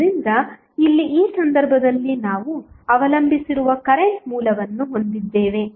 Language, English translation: Kannada, So, here in this case we have the current source which is dependent